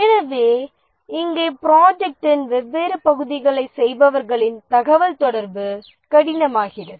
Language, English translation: Tamil, So here communication of those who do the different parts of the project become difficult